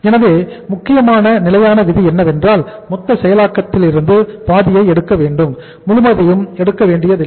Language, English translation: Tamil, So the standard rule of thumb is that we have to take the out of the total processing cost we have to take the half of the processing cost not the full